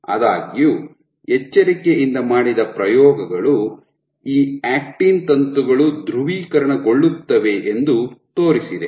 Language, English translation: Kannada, However careful experiments have shown that these actin filaments tend to be polarized